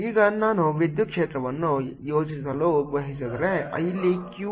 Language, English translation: Kannada, now, if i want to plot, the electric field, here is q